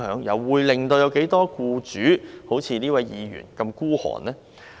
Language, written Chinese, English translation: Cantonese, 又有多少僱主會像這位議員般的吝嗇呢？, How many employers would be as miserly as that Member?